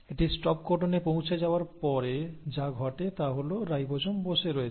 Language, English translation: Bengali, So by the time it reaches the stop codon what has happened is, the ribosome is sitting